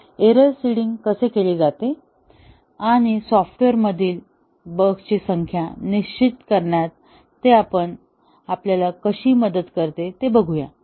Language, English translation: Marathi, So, how do we do the error seeding and how does it help us determine the number of bugs in the software